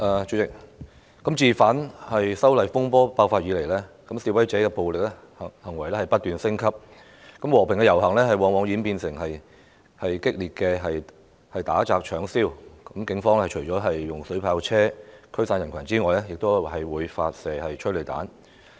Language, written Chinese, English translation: Cantonese, 主席，自反修例風波爆發以來，示威者的暴力行為不斷升級，和平遊行往往演變為激烈的打砸搶燒，警方除了使用水炮車驅散人群外，亦會發射催淚彈。, President since the outbreak of the disturbances arising from the opposition to the proposed legislative amendments the violent acts of protesters have been escalating and peaceful marches have often ended in radical incidents of beating destruction looting and arson . Apart from using water cannon vehicles to disperse the crowd the Police have also fired tear gas canisters